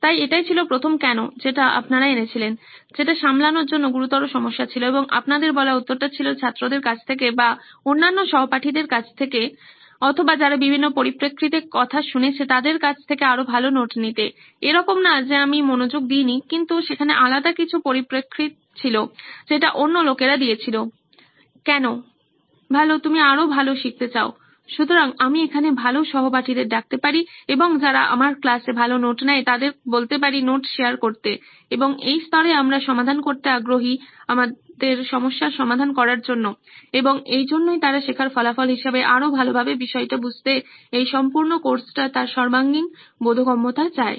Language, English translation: Bengali, So, that was the first why that you brought in which is a serious problem to tackle and you said the answer was, looking for better notes from students, other classmates or people who have paid attention to various aspects, not like I haven’t paid attention, but there are other aspects that other people are given The why, for that is, well you want better learning out comes, so that I can piggyback off other classmates who take good notes in my class, and that’s the level that we are interested in solving and that is why do they want learning outcomes is well you understand the topic better the entire course its comprehensive understanding out the course better